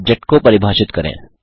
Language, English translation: Hindi, Let us define the word Object